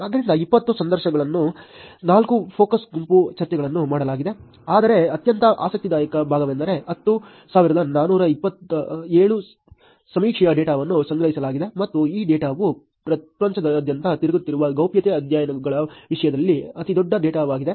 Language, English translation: Kannada, So, 20 interviews, 4 focus group discussions where done, but the most interesting part was 10,427 survey data was collected and this data is one the largest data in terms of the privacy studies that are turned across the world